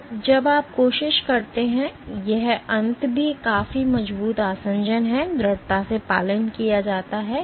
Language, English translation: Hindi, So, when you try and this end is also reasonably strong adhesion, strongly adhered